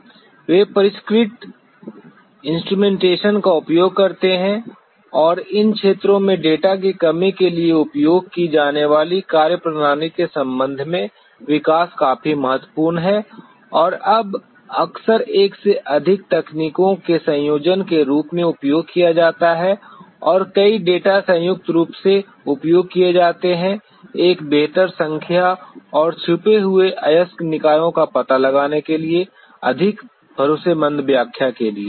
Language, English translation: Hindi, They use sophisticated instrumentation and in these field the development has been quite significant in terms of the methodology used for reduction of the data and now, there are often what is used as combination of more than one technique and join many of the data are combinedly used for a better interpretation and more dependable interpretation for detection of hidden ore bodies